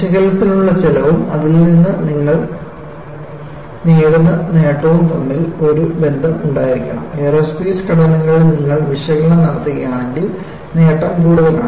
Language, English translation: Malayalam, So, you have to have a tradeoff between cost for analysis and the gain you get out of it; obviously, the aerospace structures, if you do the analysis the gain is more